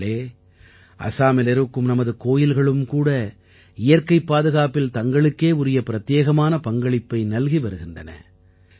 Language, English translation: Tamil, our temples in Assam are also playing a unique role in the protection of nature